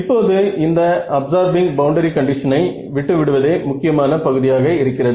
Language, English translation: Tamil, So, now the key part is to get rid of this absorbing boundary condition